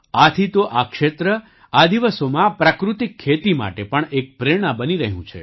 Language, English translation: Gujarati, That is why this area, these days, is also becoming an inspiration for natural farming